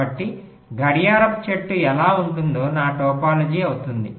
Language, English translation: Telugu, so how the clock tree will look like, that will be my topology